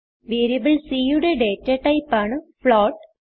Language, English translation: Malayalam, Here, float is a data type of variable c